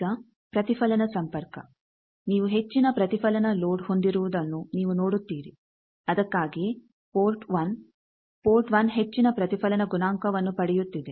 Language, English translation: Kannada, Now, reflect connection you see that you have the high reflection load that’s why port 1, port 1 is getting high reflection coefficient